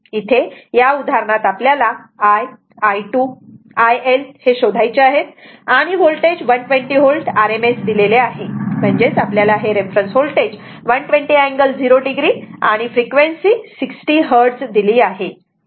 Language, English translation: Marathi, In this problem you have to find solve for I, I2, IL, voltage is 120 volt rms, that means you take the reference 120 angle 0 degree and frequency at this 60 hertz